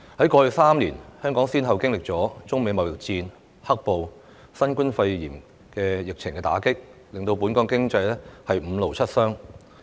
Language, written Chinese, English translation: Cantonese, 在過去3年，香港先後經歷了中美貿易戰、"黑暴"及新冠肺炎疫情的打擊，令本港經濟"五勞七傷"。, Over the past three years Hong Kong has suffered the impacts of the Sino - United States trade war black - clad violence and the COVID - 19 epidemic which have dealt a devastating blow to Hong Kongs economy